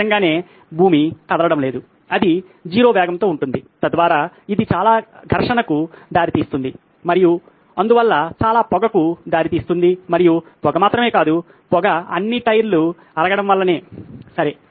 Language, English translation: Telugu, Obviously the ground is not moving, it’s at 0 speed so that’s going to lead to a lot of friction and hence leads to a lot of smoke and not only smoke, the smoke is because of all the tyre wear, okay